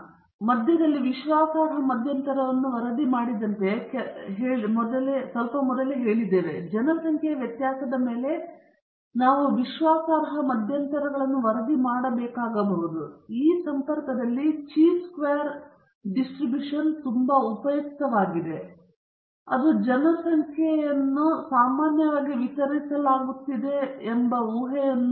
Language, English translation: Kannada, Just as we report confidence interval on the mean, we saw it just a few minutes back, we may have to report confidence intervals on the population variance and in this connection the chi square distribution is very useful, and again, it is based on the assumption that the population is normally distributed